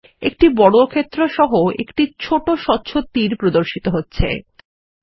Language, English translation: Bengali, A small transparent arrow with a square beneath appears at the cursor tip